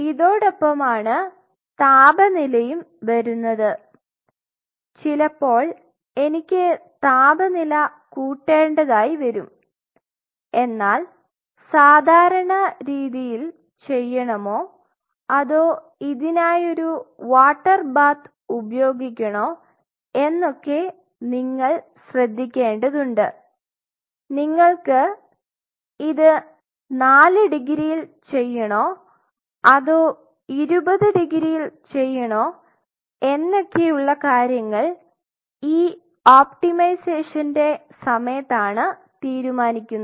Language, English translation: Malayalam, Second thing in the same line temperature sometimes I may need to raise the temperature, but you have to be careful whether you can do it in regular you know or you want to do it in a water bath of say like you know 4 degree or you want to do it at 20 degree that decision you have to figure out over a period of time of optimization